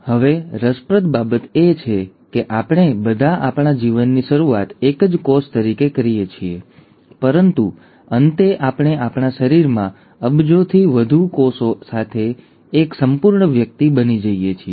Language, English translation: Gujarati, Now, what is intriguing is to note that we all start our life as a single cell, but we end up becoming a whole individual with more than billions of cells in our body